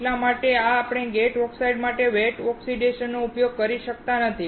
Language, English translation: Gujarati, That is why we cannot use the wet oxidation for the gate oxide